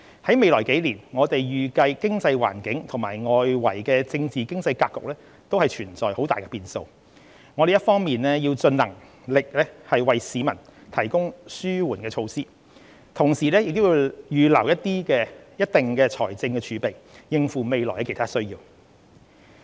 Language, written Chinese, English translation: Cantonese, 在未來數年，我們預計經濟環境及外圍政治經濟格局存在很大變數，我們一方面要盡能力為市民提供紓緩措施，同時亦要預留一定的財政儲備，應付未來其他需要。, In the coming years we expect great volatility in the economic environment and the external political situation . While we will strive to make available mitigation measures for our people we also need to maintain certain level of fiscal reserves for meeting other future needs